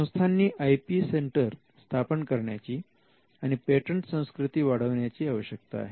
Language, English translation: Marathi, Now, want institutions to have IP centres or to have a culture of promoting patents